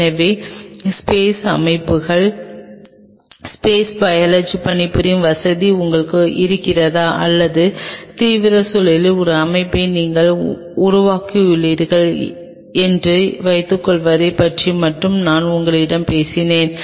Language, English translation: Tamil, So, I have only talk to you about say suppose you have a facility of working on space systems, space biology or you have your creating a system of extreme environment